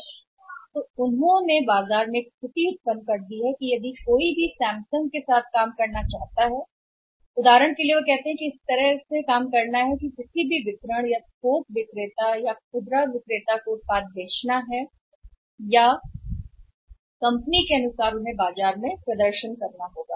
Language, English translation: Hindi, So, it means they have created a situation in the market that anybody who wants to work with Samsung say for example they have to work in a way that any distributor or wholesaler retailer has to sell the product or has to perform in the market as per the philosophy of the company